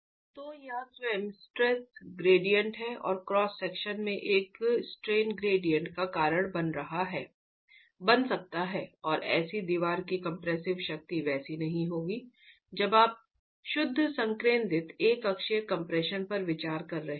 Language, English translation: Hindi, So, this itself can cause a stress gradient and a strain gradient in the cross section and the compressive strength of such a wall is not going to be the same as when you are considering pure concentric uniaxial compression